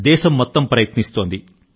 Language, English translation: Telugu, the entire country is doing that